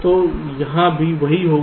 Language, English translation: Hindi, so same thing will happen here also